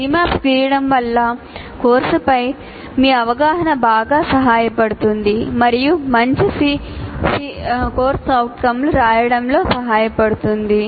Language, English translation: Telugu, But drawing C Maps can greatly facilitate your understanding of the course and in writing good COs